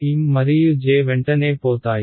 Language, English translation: Telugu, M and J go away right